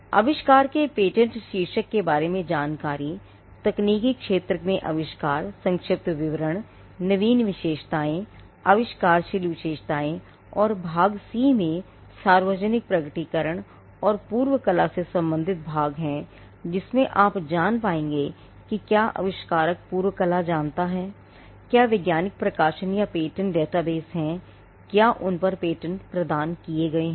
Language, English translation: Hindi, Now, information about the patent title of the invention, which technical field the invention belongs to brief description, the novel feature the, inventive feature and part C, public disclosure and part prior art, whether the invention knows some prior art and and you will find that, whether there are scientific publications or patent databases whether they there are granted patents on it